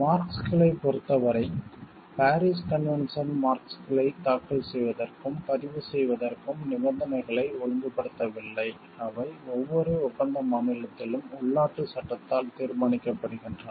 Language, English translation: Tamil, In case of marks the Paris convention does not regulate the conditions for filing and registration of marks, which are determined in each contracting state by domestic law